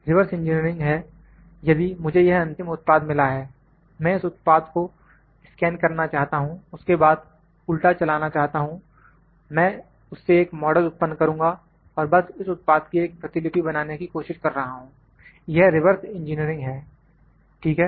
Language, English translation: Hindi, Reverse engineering is if I got this final product, I like to scan this product then move reverse I will create a model out of that and just to trying to create a replicate of this product, this is reverse engineering, ok